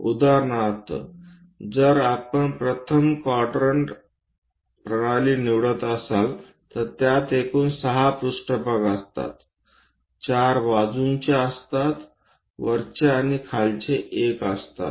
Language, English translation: Marathi, For example, if we are picking first quadrant system, it consists of in total 6 planes; 4 on the sides top and bottom thing